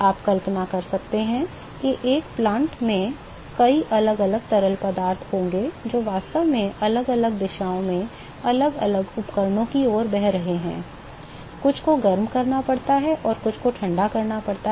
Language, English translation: Hindi, You can imagine that in a plant, there will be many different fluid which is actually flowing in different directions to different equipment, some have to be heated some have to be cooled